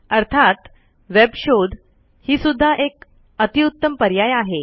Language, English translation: Marathi, Of course, a web search is an excellent option too